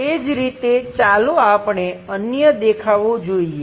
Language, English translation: Gujarati, Similarly, let us look at other views